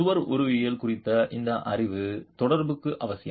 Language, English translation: Tamil, This knowledge on the wall morphology is essential for your correlation